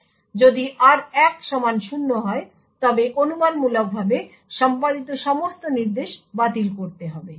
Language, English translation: Bengali, So, as a result if r1 is equal to 0 all the speculatively executed instructions would need to be discarded